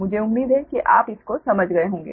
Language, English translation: Hindi, i hope you have understood this right